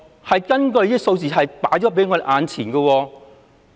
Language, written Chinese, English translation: Cantonese, 相關數字就放在我們眼前。, The relevant figures are evident to all